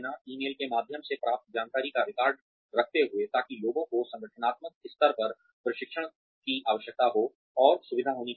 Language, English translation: Hindi, Keeping records of the information, received through emails, so people may need training on an organizational level